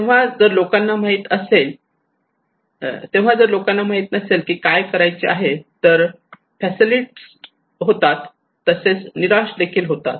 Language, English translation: Marathi, So if people do not know what to do it makes them fatalist, it makes them frustrated